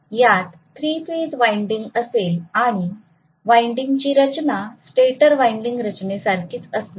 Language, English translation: Marathi, So it is also going to have 3 phase winding that is the winding structure is similar to the stator winding structure